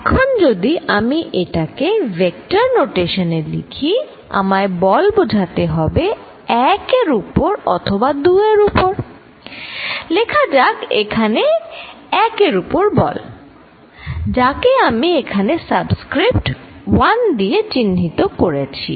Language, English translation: Bengali, Now, if I am writing it in the vector notation I have to denote force on 1 or force on 2, let us write the force on 1 which I denote here by this subscript 1 here